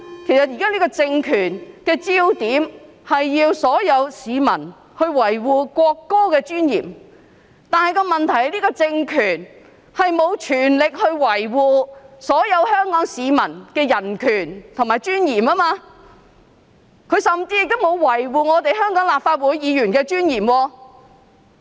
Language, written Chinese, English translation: Cantonese, 因為現在這個政權的焦點，是要所有市民維護國歌的尊嚴，但問題是，這個政權並無全力維護所有香港市民的人權及尊嚴，甚至沒有維護香港立法會議員的尊嚴。, Because this political regime now focuses on making it incumbent on all the people to preserve the dignity of the national anthem but the problem is that this very regime has not made the utmost effort to preserve the human rights and dignity of all Hong Kong people even less so in preserving the dignity of Members of the Legislative Council in Hong Kong